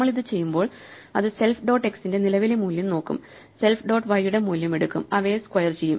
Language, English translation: Malayalam, So, when we do this, it will look at the current value of self dot x, the current value of self dot y, square them, add them and take the square root